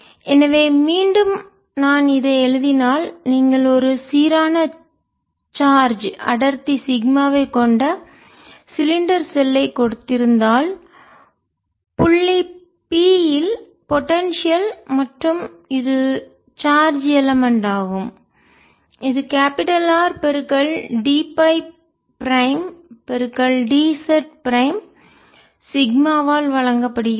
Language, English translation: Tamil, so again, if i write, if i, again, if you are given a cylinder shell having information density sigma, so potential at point p, and this is the charge element which is given by r, t, phi, prime, d, z, prime into sigma, so this is a charge element